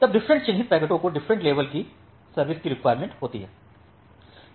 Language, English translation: Hindi, So, now different marked packets require different level of quality of service